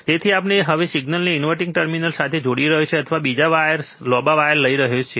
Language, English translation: Gujarati, So, we are now connecting the signal to the inverting terminal, or you can take another wire longer wire